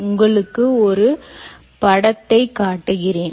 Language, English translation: Tamil, let me show you this picture